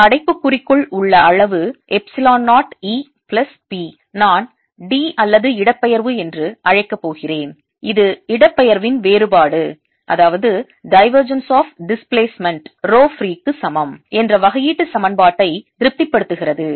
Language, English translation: Tamil, and this quantity, in brackets, epsilon zero, e plus p, i am going to call d or displacement, and this satisfies the differential equation that divergence of displacement is equal to rho free, if you like